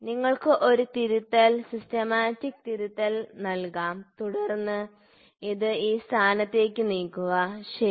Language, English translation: Malayalam, So, you can put a correction systemic correction and then move this to this point, ok